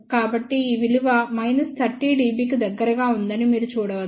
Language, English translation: Telugu, So, you can see that this value is around minus 3 dB